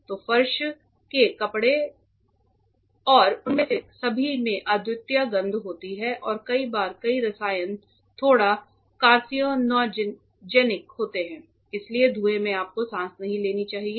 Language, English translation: Hindi, So, the floor dresses and all are lot of they have unique smell and many times many chemicals are little bit carcinogenic and all, so the fumes you should not breathe in